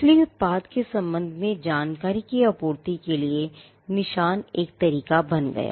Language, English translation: Hindi, So, marks became a shorthand for supplying information with regard to a product